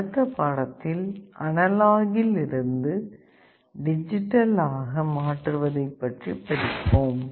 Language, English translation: Tamil, In the next lecture, we shall be starting our discussion on the reverse, analog to digital conversion